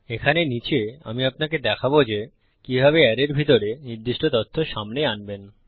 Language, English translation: Bengali, Down here, Ill show you how to echo out specific data inside the array